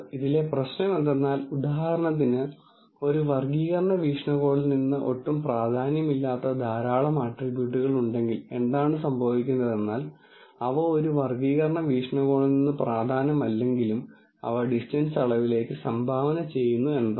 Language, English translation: Malayalam, The problem with this is that, if for example, there are a whole lot of attributes which actually are not at all important from a classification viewpoint, then what happens is, though they are not important from a classification viewpoint, they contribute in the distance measure